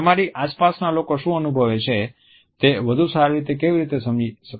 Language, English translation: Gujarati, What to better understand how people around you feel